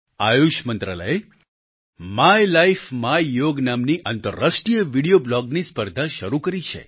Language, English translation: Gujarati, The Ministry of AYUSH has started its International Video Blog competition entitled 'My Life, My Yoga'